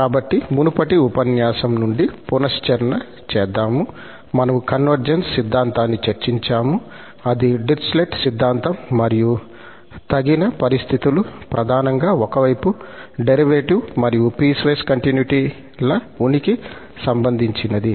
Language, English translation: Telugu, So, just to recall from the previous lecture, we have discussed convergence theorem, that was the Dirichlet theorem and the sufficient conditions mainly the piecewise continuity and existence of one sided derivatives